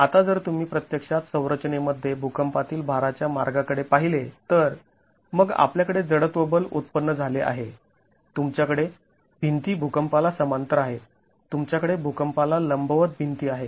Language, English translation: Marathi, Now if you actually look at in the earthquake the load path in the structure then we have inertial forces generated, you have walls parallel to the earthquake, you have walls perpendicular to the earthquake